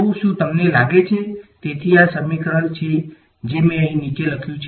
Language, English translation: Gujarati, So, do you think; so, that is this equation that I have written at the bottom over here